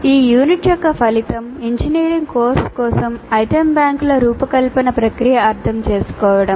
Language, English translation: Telugu, The outcomes for this unit are understand the process of designing item banks for an engineering course